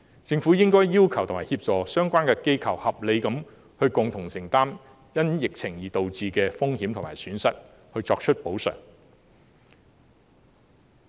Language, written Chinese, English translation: Cantonese, 政府應該要求及協助相關機構合理地共同承擔因疫情而導致的風險和損失，並作出補償。, The Government should request and help the organizations concerned to reasonably share the risks and losses caused by the epidemic and make compensation